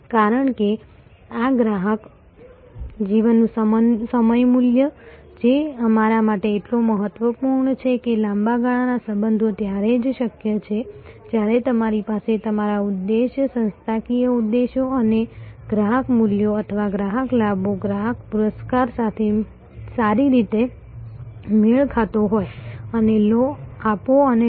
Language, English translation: Gujarati, Because, this customer life time value, which is, so important to us that long term relationship is only possible when you have a good give and take, give and take based matching of your objectives organizational objectives and customer values or customer gains customer rewards